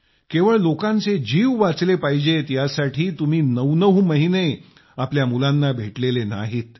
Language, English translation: Marathi, For nine odd months, you are not meeting your children and family, just to ensure that people's lives are saved